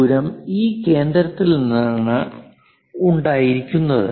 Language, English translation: Malayalam, This radius is made from this center